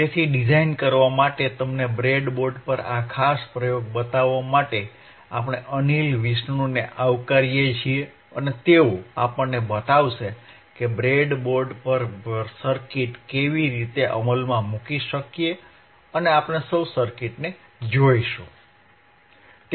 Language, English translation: Gujarati, , Llet us welcome Anil Vishnu and he will show us how we can implement the circuit on the breadboard and we will be able to see the circuit